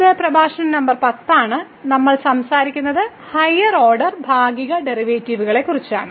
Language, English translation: Malayalam, And this is lecture number 10 we will be talking about Partial Derivatives of Higher Order